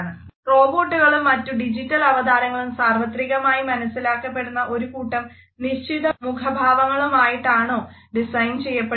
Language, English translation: Malayalam, Should companion robots and digital avatars be designed in such a fashion that they display a set of facial expressions that are universally recognized